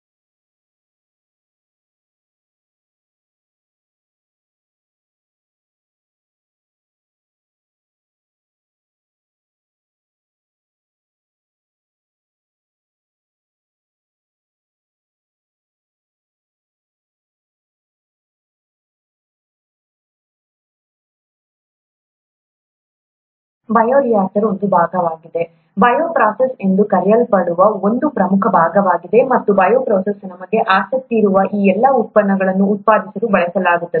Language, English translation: Kannada, The bioreactor is a part, an important part of what is called a bioprocess, and the bioprocess is the one that is used to produce all these products of interest to us